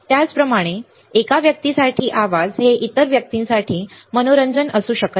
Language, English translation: Marathi, Similarly, a noise for one person cannot be can be a entertainment for other person all right